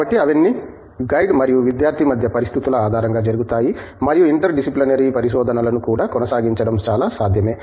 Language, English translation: Telugu, So, those are all done on an individual case to case basis between the guide and the student and it is very much possible to pursue interdisciplinary research also